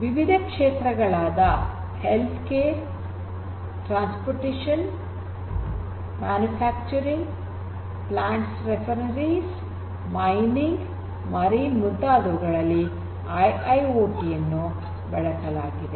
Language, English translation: Kannada, So, the domains of used for IIoT lies in many different areas such as healthcare, transportation, manufacturing, plants refineries, mining, marine and many; many more